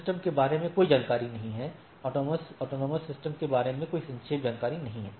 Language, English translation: Hindi, So, it is no information about the AS, there is no summarized information about the AS